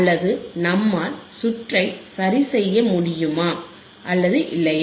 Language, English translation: Tamil, Or whether we can troubleshoot the circuit or not